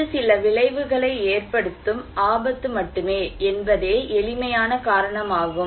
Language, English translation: Tamil, The simple reason is this is just simply a hazard which is potential to cause some effect